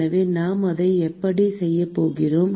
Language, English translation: Tamil, So, how we are going to do that